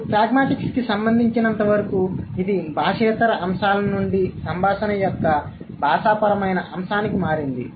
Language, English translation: Telugu, And as far as pragmatics is concerned, it has moved from non linguistic aspects to the linguistic aspect of the conversation, right